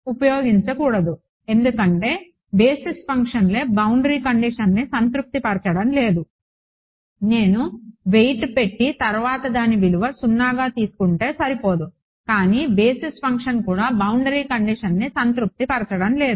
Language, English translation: Telugu, I cannot I mean because the basis functions themselves I am not satisfying the boundary conditions its not enough that I just attach a weight next do to which is 0, but the basis function itself is not satisfying the boundary condition